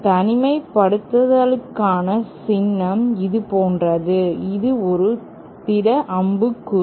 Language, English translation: Tamil, Symbol for isolator is like this, it is a solid arrow